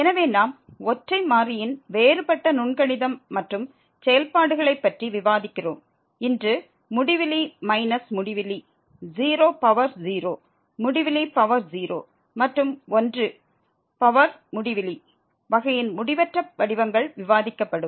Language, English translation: Tamil, So, we are discussing differential calculus and functions of single variable, and today this indeterminate forms of the type infinity minus infinity 0 power 0 infinity power 0 and 1 power infinity will be discussed